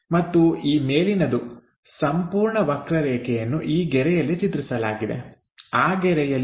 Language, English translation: Kannada, And this top one this entire curve projected onto this line on that line